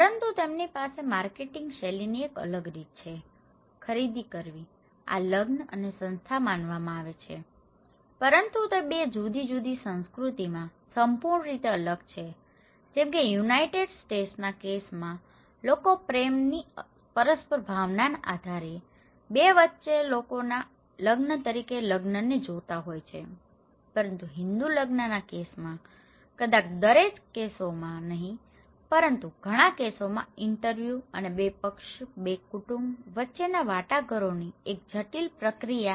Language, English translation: Gujarati, But they have a different way of marketing style, doing shopping; this is considered to be an marriage and institutions but it is completely different in 2 different culture like, in case of United States people tend to view marriage as a choice between two people based on mutual feeling of love but in case of Hindu marriage, maybe in not in every cases but in a lot of cases is arranged through an intricate process of interviews and negotiations between two parties, two families, right